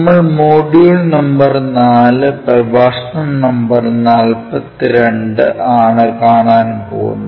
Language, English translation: Malayalam, We are covering module number 4 and lecture number 42